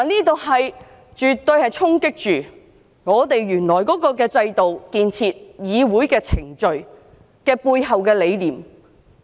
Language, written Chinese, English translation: Cantonese, 這絕對會衝擊立法會原來的制度、議會程序背後的理念。, Definitely these problems can deal a blow to the existing system of the Legislative Council and the rationale behind the legislative procedures